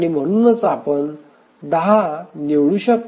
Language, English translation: Marathi, So, you can choose 10